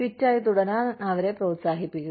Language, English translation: Malayalam, Encourage them to stay fit